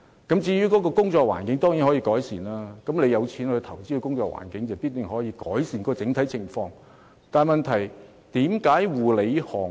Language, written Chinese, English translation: Cantonese, 工作環境當然可以改善，只要肯花錢，工作環境必然可得以改善，但問題是，為何護理行業......, The working environment can of course be improved . As long as the owner is willing to spend money the working environment can be improved